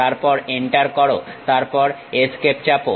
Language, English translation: Bengali, Then Enter, then press Escape